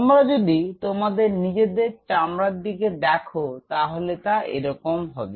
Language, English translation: Bengali, If you look at your own skin to the something like this is